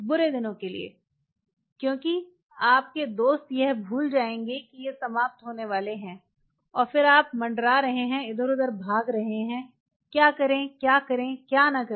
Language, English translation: Hindi, For the rainy days because dear friends will forget that these are about to end and then you are hovering running around, what to do, what to do, what to do, not allow that to happen